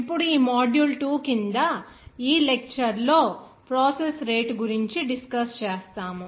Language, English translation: Telugu, Now under this module 2, in this lecture, we will try to discuss about the rate of processes